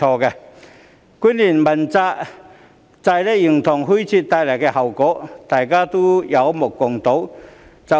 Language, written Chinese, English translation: Cantonese, 主要官員問責制形同虛設所帶來的後果，可說有目共睹。, The consequences of rendering the accountability system for principal officials an empty shell are in fact obvious to all